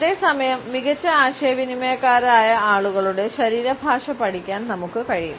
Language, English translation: Malayalam, At the same time, we can study the body language of those people who in our opinion are better communicators